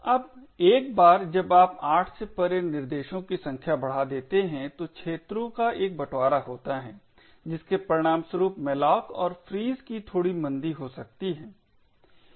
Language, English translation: Hindi, Now once you increase the number of threads beyond 8 since there is a sharing of arenas it could result in a slight slowdown of the malloc and frees